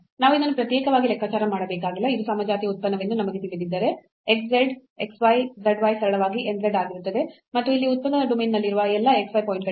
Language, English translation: Kannada, So, we do not have to compute this separately, if we know that it is a homogeneous function then x z x y z y will be simply n z and for all x y point in the domain of the order domain of the function here